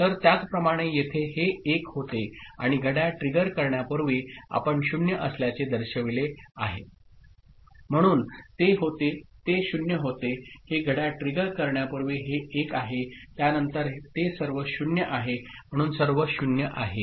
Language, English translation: Marathi, So, similarly over here this becomes 1 and just before clock trigger you see it has become 0, so it becomes 0, before this clock trigger this is 1, after that it is all 0 so there are all 0